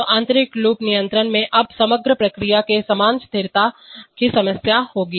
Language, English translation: Hindi, So the inner loop controller will now have the same stability problems as the overall process